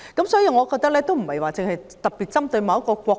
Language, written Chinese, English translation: Cantonese, 所以，我認為問題並非特別針對某一個國家。, Thus I think the problem has not only occurred in one particular country